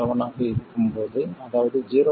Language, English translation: Tamil, 7 that is about 0